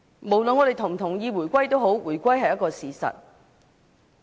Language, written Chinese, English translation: Cantonese, 無論我們是否同意回歸，它都早已成為事實。, Reunification is a fact no matter we endorse it or not